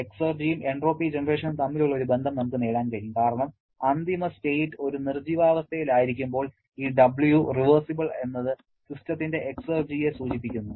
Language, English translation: Malayalam, So, this way we can relate the irreversibility with the entropy generation and we can also get a relationship between exergy and the entropy generation because when the final state is a dead state, this W reversible refers to the exergy of the system